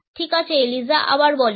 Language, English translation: Bengali, All right Eliza say it again